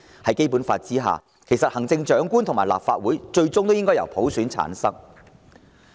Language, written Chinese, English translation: Cantonese, 在《基本法》下，行政長官和立法會最終也應由普選產生。, Under the Basic Law the Chief Executive and the Legislative Council should ultimately be selected by universal suffrage